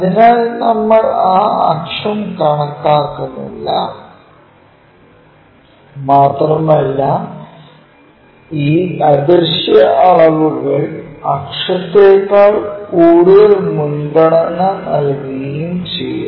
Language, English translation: Malayalam, So, we do not show that axis and give preference more for this invisible dimension than for the axis